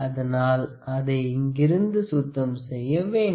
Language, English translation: Tamil, So, it is important to clean it properly